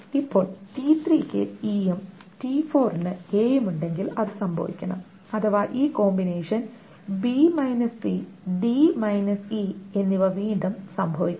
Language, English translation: Malayalam, Now if t3 has e and t4 has a, then it must happen that this combination b c and d e must again take place